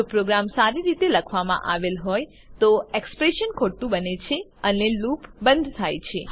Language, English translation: Gujarati, If the program is written well, the expression becomes false and the loop is ended